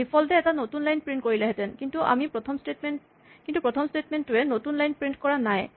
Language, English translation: Assamese, The default would have been to print a new line, but the first statement is not printing a new line